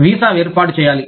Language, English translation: Telugu, A visa, has to be arranged